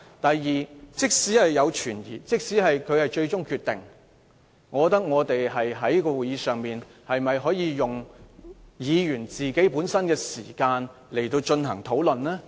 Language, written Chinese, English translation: Cantonese, 第二，即使存有疑問，即使主席的決定是最終決定，我們在會議上又可否利用議員的發言時間進行討論？, Second even if there are doubts and the decision of the President is final can Members use their speaking time to discuss such matters?